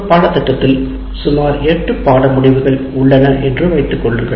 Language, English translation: Tamil, Let us consider there are about eight course outcomes that we do